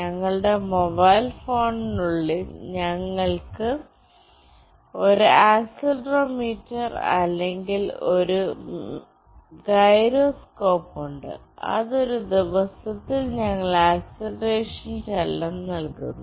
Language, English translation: Malayalam, Inside our mobile phone, we have an accelerometer or a gyroscope, which gives us the acceleration movement that we make in a day